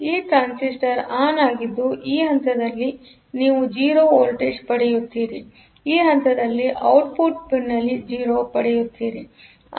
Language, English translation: Kannada, Because this transistor is on; so you will get a 0 at this point, so at the pin you are getting a 0